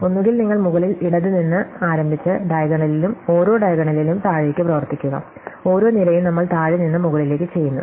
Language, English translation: Malayalam, So, either you start at the top left and work down the diagonal and each diagonal, each column we do bottom to top